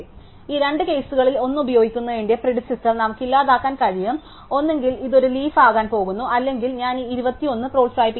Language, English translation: Malayalam, So, we can just delete the predecessor of the using one of these two cases, either it is going to be a leaf it is just falls off or I am going to promote this 21